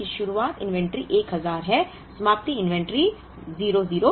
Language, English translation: Hindi, So, 1st month beginning inventory is 1000, ending inventory is 600